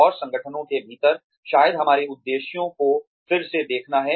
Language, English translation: Hindi, And, within the organizations, there is a need to, maybe, revisit our objectives